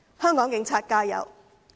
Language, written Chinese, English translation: Cantonese, 香港警員加油！, Fight on Hong Kong police officers!